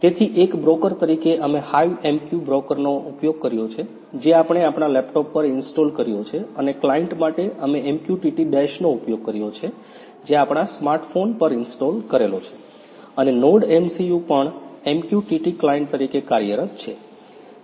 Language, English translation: Gujarati, So, as a broker we have used HiveMQ broker which we have installed on our laptop and for client we have used MQTT Dash which is installed on our smart phone and NodeMCU is also working as MQTT client